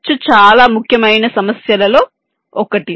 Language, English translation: Telugu, cost can be one of the most important issues